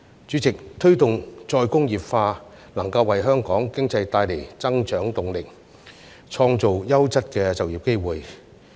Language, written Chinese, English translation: Cantonese, 主席，推動再工業化能夠為香港經濟帶來增長動力，創造優質的就業機會。, President promoting re - industrialization can give growth momentum to the Hong Kong economy and create quality employment opportunities